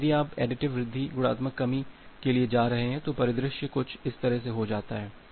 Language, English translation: Hindi, But if you are going for additive increase multiplicative decrease, the scenario becomes something like this